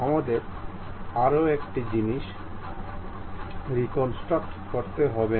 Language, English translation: Bengali, We do not have to reconstruct one more thing